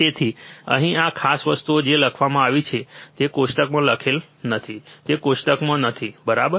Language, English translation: Gujarati, So, this is this particular things here which is written, it this is not written in the table, it is not in the table, right